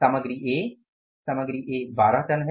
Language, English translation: Hindi, Material A is going to be material A 12 tons, 12